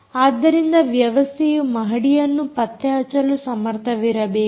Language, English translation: Kannada, the system should be able to detect the floor